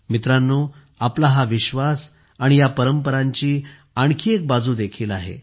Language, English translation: Marathi, Friends, there is yet another facet to this faith and these traditions of ours